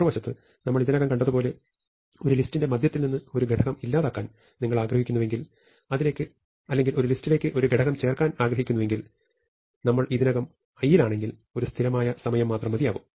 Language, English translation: Malayalam, On the other hand, as we have already seen, if you wanted to delete an element from the middle of a list or we want to insert an element into a list, this takes constant time, provided we are already at A i